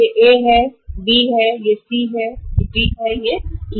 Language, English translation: Hindi, A, then it is B, it is C, it is D, it is E